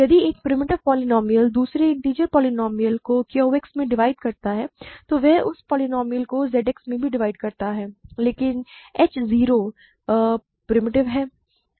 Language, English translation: Hindi, If a primitive polynomial divides another integer polynomial in Q X, then it divides that polynomial in Z X also; so, but h 0 is primitive by construction right